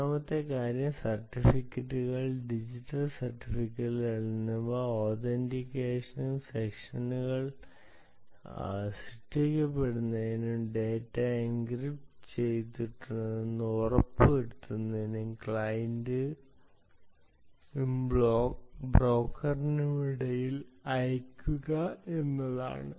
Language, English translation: Malayalam, third thing is: use huge certificates, digital certificates, both for authentication as well as for creating sessions and ensuring that data is encrypted and send between the client and the broker